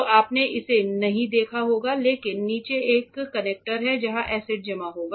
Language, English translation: Hindi, So, you might not have seen it, but there is a container below where the acids will be stored